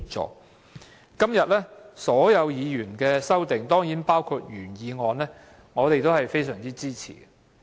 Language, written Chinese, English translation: Cantonese, 對於今天所有議員提出的修正案——當然包括原議案，我們也非常支持。, We strongly support all the amendments proposed by Members today as well as the original motion